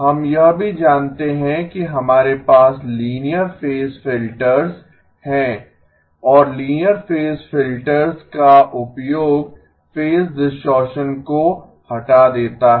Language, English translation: Hindi, We also know that we have linear phase filters and the use of linear phase filters removes phase distortion